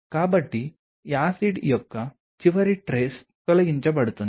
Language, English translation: Telugu, So, that the last trace of acid is kind of removed